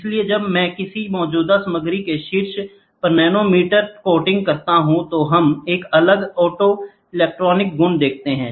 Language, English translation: Hindi, So, when I do a nanometer coating on top of a of a existing material, then we see a different optoelectronic properties